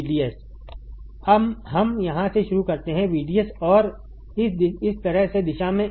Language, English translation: Hindi, VDS we start from here VDS and in direction like this